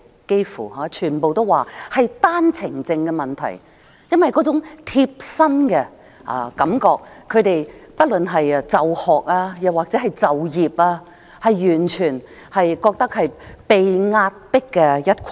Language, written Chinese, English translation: Cantonese, "幾乎全部大學生都回答是單程證問題，因為這問題直接影響他們，不論是就學或就業，他們都覺得是被壓迫的一群。, Almost all the students selected the issue of OWPs as their answer because this issue directly affects them with respect to both education and employment . They see themselves as an oppressed group